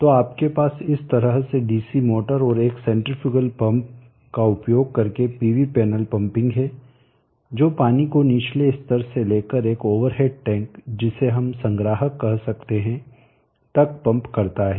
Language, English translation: Hindi, So you have the PV panel pumping using the DC motor and a centrifugal pump in this fashion here to pump up the water from the lower level to an over at tank a reservoir what we could say